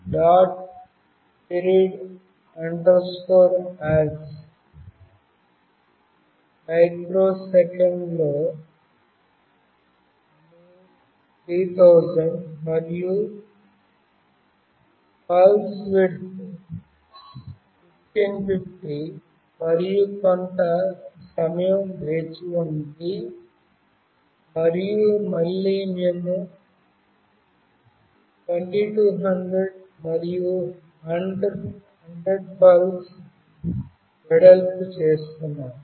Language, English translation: Telugu, period us is 3000 in microsecond, and the pulse width is 1550, and wait for some time and again we are doing 2200 and pulse width of 100